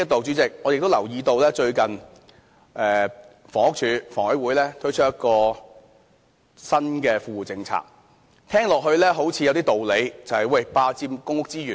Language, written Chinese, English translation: Cantonese, 主席，我亦留意到最近房屋署、香港房屋委員會推出了一項新的富戶政策，聽起來好像有一些道理。, President I also notice that the Housing Department and the Hong Kong Housing Authority have recently introduced a new well - off tenants policy which sounds reasonable